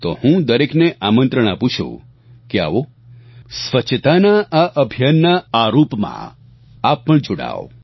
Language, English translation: Gujarati, I invite one and all Come, join the Cleanliness Campaign in this manner as well